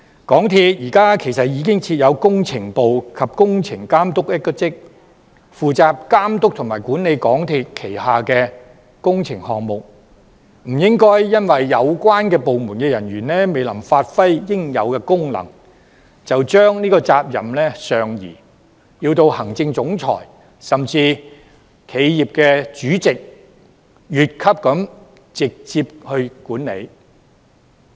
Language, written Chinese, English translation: Cantonese, 港鐵公司現時已經設有工程部及工程總監一職，負責監督及管理港鐵公司旗下的工程項目，不應該因為有關部門人員未能發揮應有功能，便將責任上移，要求行政總裁甚至企業主席越級直接管理。, At present MTRCL has set up the Projects Division and the position of Projects Director to be responsible for the supervision and management of the works projects under MTRCL . We should not move the responsibility higher by requiring the Chief Executive Officer or even the Chairman of the corporation to directly manage the projects when the staff of the department concerned are unable to exercise their functions